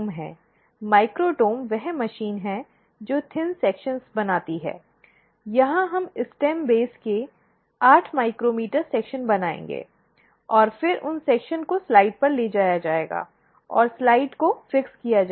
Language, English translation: Hindi, Microtome is the machine which makes thin sections, here we will be making 8 micrometer sections of the stem base and then those sections will be taken on the slides and fixed to the slides